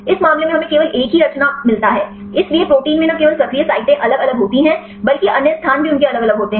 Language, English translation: Hindi, In this case we get only one conformation; so, protein also have different conformation not only active sites, but other place also they have different conformations